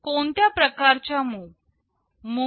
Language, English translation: Marathi, What kind of MOV